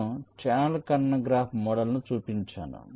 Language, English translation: Telugu, so i have shown the channel intersection graph model